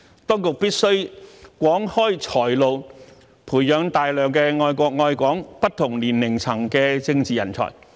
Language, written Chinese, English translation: Cantonese, 當局必須廣開"才"路，培養大量愛國愛港、不同年齡層的政治人才。, The authorities must offer more opportunities to talents by nurturing a large number of political talents of different age levels who love their country and Hong Kong